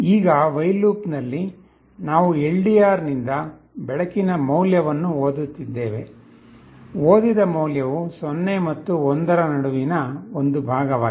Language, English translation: Kannada, Now in the while loop, we are reading the light value from the LDR; the value that is read is a fraction between 0 and 1